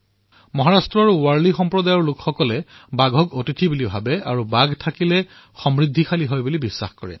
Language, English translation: Assamese, People of Warli Community in Maharashtra consider tigers as their guests and for them the presence of tigers is a good omen indicating prosperity